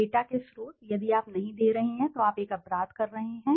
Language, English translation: Hindi, Sources of data, if you are not giving it then you are doing a crime